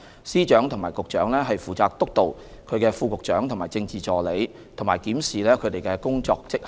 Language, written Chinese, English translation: Cantonese, 司長和局長負責督導其副局長和政治助理，以及檢視其工作績效。, Secretaries of Department and Directors of Bureau supervise their respective Deputy Directors of Bureau and Political Assistants and review their work performance